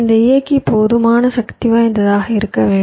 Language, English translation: Tamil, so this driver has to be powerful enough